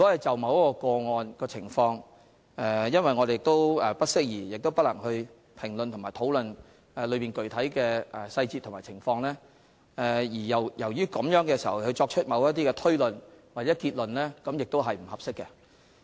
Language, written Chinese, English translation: Cantonese, 首先，由於我們不適宜亦不能評論或討論某一個案的具體細節和情況，就該個案作出某些推論或結論並不合適。, First of all as it is not appropriate for us to comment on or discuss the specific details and circumstances of a particular case nor are we in a position to do so it is not appropriate to draw certain inferences or conclusions in respect of the case